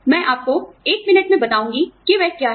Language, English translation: Hindi, I will tell you, what that is, in a minute